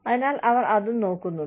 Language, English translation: Malayalam, So, they are looking in to that, also